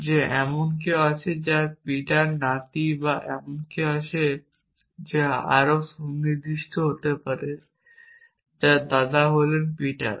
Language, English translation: Bengali, So, if I ask a query like that is there someone whose peters grandson or is there someone to be more precise whose grandfather is Peter